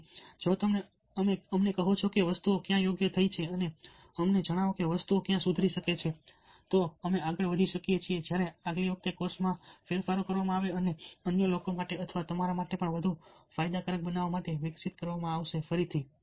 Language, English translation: Gujarati, so if you tell us where went right and tell us where things can improve, then we can go ahead long way when the next time the course is evolved, in making changes and making it more beneficial for other people or even you who be taking it again